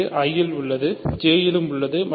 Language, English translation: Tamil, So, this is in I this is in J